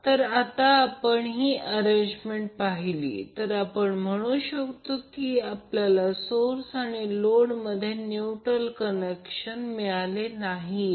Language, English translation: Marathi, Now if you see this particular arrangement, you can simply say that that we do not have neutral connection between the source as well as load